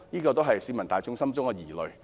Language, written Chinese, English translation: Cantonese, 這也是市民大眾的疑慮。, That is also the concern of the general public